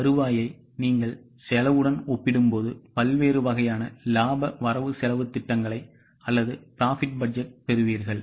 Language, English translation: Tamil, When you compare the revenue with cost, you will get various types of profit budgets